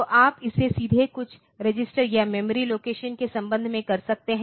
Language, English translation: Hindi, So, you can do it directly with respect to some register or memory location